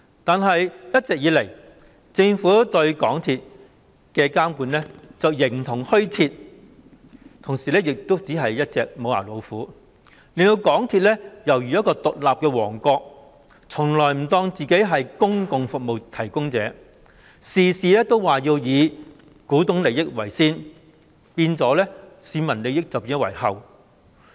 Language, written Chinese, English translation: Cantonese, 但是，一直以來，政府對港鐵公司的監管形同虛設，同時亦只是一隻"無牙老虎"，令港鐵公司猶如一個獨立的王國，從來不當自己是公用服務提供者，事事只以股東的利益為先，變相置市民利益於後。, However the Governments supervision of MTRCL has all along bordered on the non - existent except for a toothless tiger that has turned MTRCL into the semblance of an independent kingdom never identifying itself as a public service provider . Priority is always accorded to the interests of shareholders thus having the effect of consigning public interests to a rear position